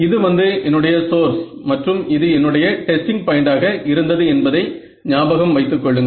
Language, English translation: Tamil, Remember, here, this was my source and this was my testing point